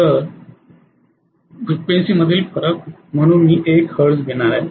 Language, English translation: Marathi, So I am going to get 1hertz as the difference in the frequency